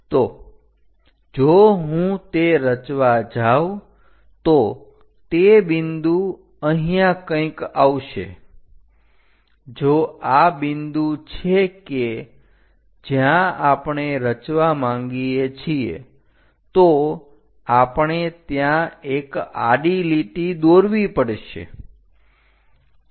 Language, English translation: Gujarati, So, if I am going to construct it, that point goes somewhere here; if this is the point where we want to construct, we have to drop a horizontal line there